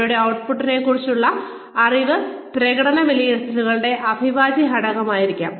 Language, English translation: Malayalam, Knowledge of their output, should be an integral part of performance appraisals